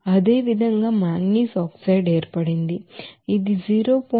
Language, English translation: Telugu, Similarly manganese oxide formed it will be 0